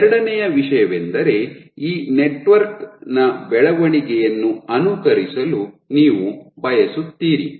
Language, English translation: Kannada, So, second thing is, you want to simulate the growth of this network right